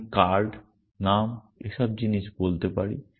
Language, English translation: Bengali, I can say things like card, name